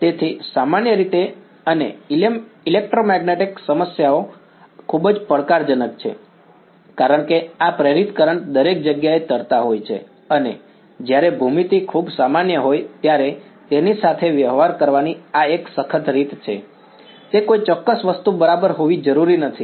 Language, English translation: Gujarati, So, in general and electromagnetic problems are very challenging because of these induced currents floating around everywhere and this is one rigorous way of dealing with it when the geometry is very general need not be some very specific thing ok